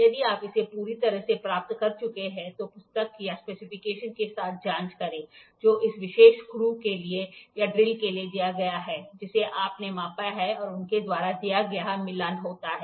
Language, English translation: Hindi, If you perfectly got it, check with the book or the specification, which is given for that particular screw or for the drill what you have measured and what is given by them is matching